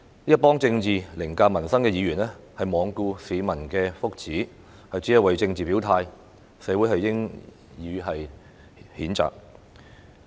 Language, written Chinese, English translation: Cantonese, 一群以政治凌駕民生的議員罔顧市民的福祉，只為政治表態，社會應予以譴責。, The community should condemn the bunch of Members who put politics before peoples livelihoods in woeful ignorance of public well - being for the only purpose of expressing their political stance